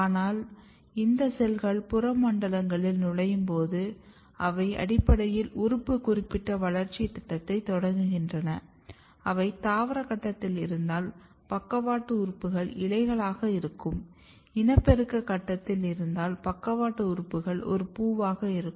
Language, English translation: Tamil, But when this cells enters in the peripheral zones they basically initiate organ specific developmental program depending on the fact whether if they are in the vegetative phase, the lateral organs are going to be the leaf if they are in the reproductive phase, the lateral organs are going to be a flower